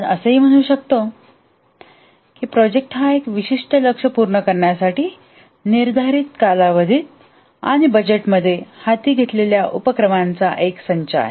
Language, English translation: Marathi, We can also say that a project is a set of activities undertaken within a defined time period in order to meet specific goals within a budget